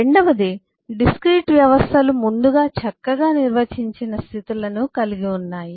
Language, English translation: Telugu, the second is, of course, discrete systems have predefined well defined states